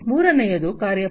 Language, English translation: Kannada, Third is the work force